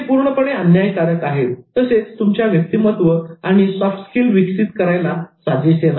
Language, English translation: Marathi, It will be completely unfair and it's unbecoming of your personality and developing your soft skills